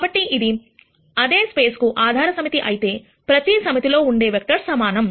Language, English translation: Telugu, So, if it is a basis set for the same space, the number of vectors in each set should be the same